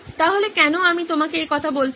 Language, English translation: Bengali, So why am I telling you this